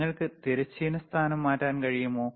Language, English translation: Malayalam, cCan you change the horizontal position please,